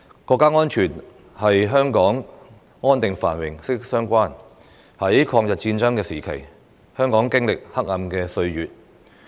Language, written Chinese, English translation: Cantonese, 國家安全與香港的安定繁榮息息相關，在抗日戰爭時期，香港經歷黑暗歲月。, National security is closely related to the stability and prosperity of Hong Kong which experienced dark years during the war of resistance against Japanese aggression